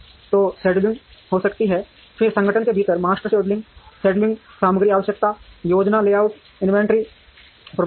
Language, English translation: Hindi, So, there could be scheduling, then master scheduling, materials requirement planning, layout inventory management within the organization